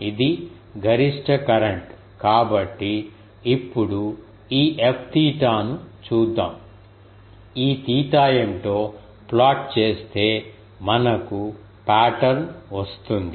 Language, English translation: Telugu, It is a maximum current so, so, now, let us look at this F theta if we plot what is this theta, we get the pattern